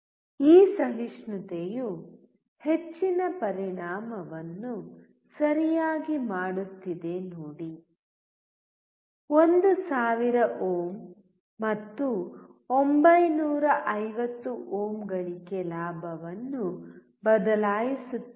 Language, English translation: Kannada, See this tolerance is making so much of effect right; 1 thousand ohms and 950 ohms will change the gain